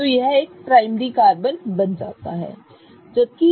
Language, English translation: Hindi, So, it becomes a primary carbon